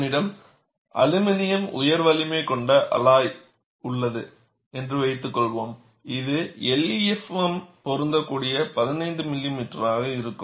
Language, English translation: Tamil, Suppose, I have an aluminium high strength alloy, it would be around 15 millimeter, where LEFM is applicable